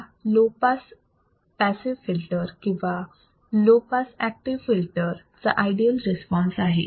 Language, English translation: Marathi, This is an ideal response of the low pass passive filter or low pass active filter